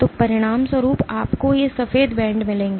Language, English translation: Hindi, So, as a consequence you will get these white bands